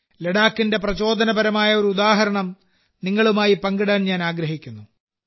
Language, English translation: Malayalam, I want to share with all of you an inspiring example of Ladakh